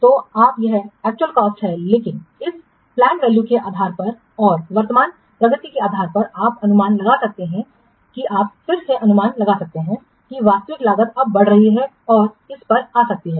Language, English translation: Hindi, But based on this planned value and based on the current progress, you can estimate that you can again forecast that the actual cost will be now increasing and may come to this